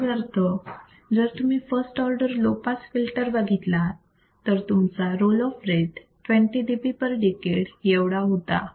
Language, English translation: Marathi, That means, if you see the first order low pass filter, you will see that the roll off rate was 20 dB per decade